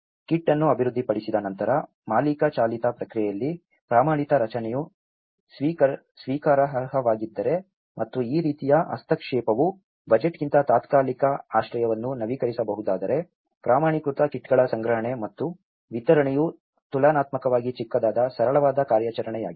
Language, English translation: Kannada, Once a kit is developed, if a standard structure is acceptable in a owner driven process and this kind of intervention is upgradeable temporary shelter than budgeting, procurement and distribution of standardized kits is a relatively small, simple operation